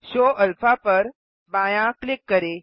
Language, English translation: Hindi, Left click Show Alpha